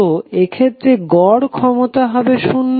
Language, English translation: Bengali, So in this case your average power would be 0